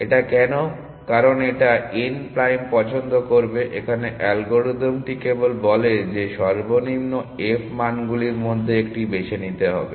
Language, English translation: Bengali, Why because, it would pick n prime as simple as that the algorithm simply says pick the one of the lowest f value